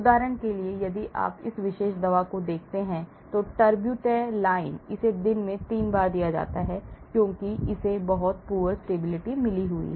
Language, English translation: Hindi, For example, if you look at this particular drug; terbutaline it is given 3 times a day because it has got very poor stability